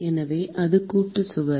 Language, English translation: Tamil, So, that is the Composite wall